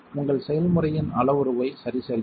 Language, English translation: Tamil, Adjust the parameter of your recipe